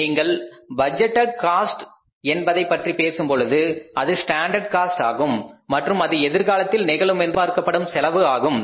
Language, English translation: Tamil, So, when you talk about the budgeted cost, it is a standard cost and that is expected to happen in future